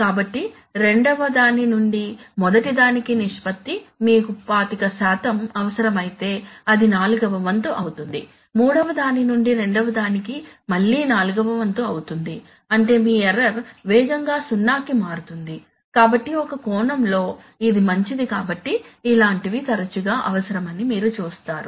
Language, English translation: Telugu, So the ratio of 2nd to 1st will be let us say if you require 25% that will be one fourth then third to second will again be one forth so which means that your error is rapidly converging to zero, so in some sense it is good so you see that such things are often required